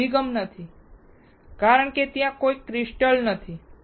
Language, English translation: Gujarati, Here there is no orientation because there is no crystal